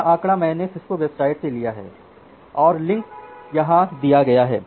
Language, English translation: Hindi, This figure I have taken from a Cisco website and the link is given here